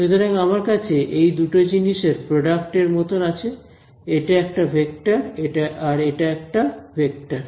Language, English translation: Bengali, So, I have its like the dot product of two things over here right; this is a vector, this is a vector